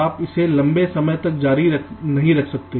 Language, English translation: Hindi, you cannot continue this for long